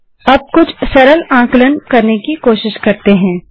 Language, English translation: Hindi, Let us try some simple calculation